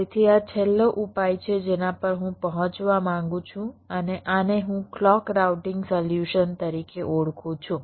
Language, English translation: Gujarati, so this is the final solution i want to, i want to arrive at, and this i refer to as the clock routing solution